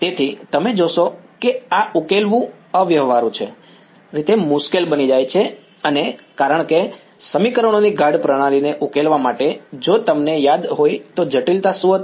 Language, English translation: Gujarati, So, you will find that this becomes impractically difficult to solve because to solve a dense system of equations what was the complexity if you remember